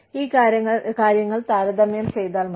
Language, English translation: Malayalam, Just compare these things